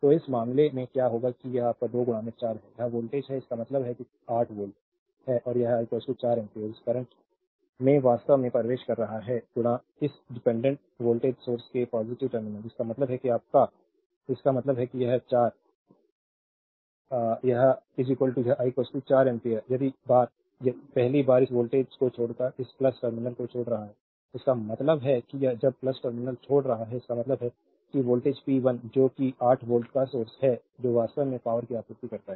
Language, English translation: Hindi, So, in this case what will happen that, this is your 2 into 4 this is volt ; that means, it is 8 volt right and this I is equal to 4 ampere this current actually entering into the positive terminal of this dependent voltage source ; that means, your; that means, this 4 I this I is equal to 4 ampere first leaving this voltage leaving this plus terminal; that means, when you leaving the plus terminal; that means, voltage p 1 that is the 8 volt source it is actually supplying power